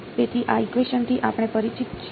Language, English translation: Gujarati, So, this equation we are familiar with